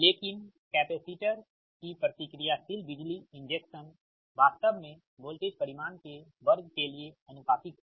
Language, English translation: Hindi, that reactive power injection actually is proportional to the square of the voltage magnitude